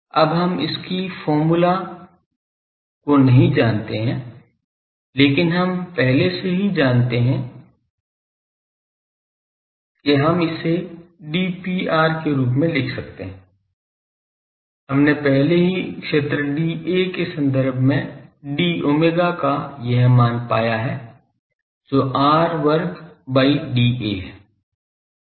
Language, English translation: Hindi, Now , we do not know it is expression , but we already know that this we can write as d P r this , we have already found this value of d omega in terms of area that is d A by r square